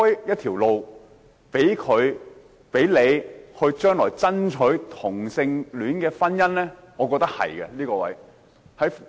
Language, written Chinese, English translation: Cantonese, 這是否開創將來爭取同性婚姻的道路呢？, Will it open the path for the fight for same - sex marriage?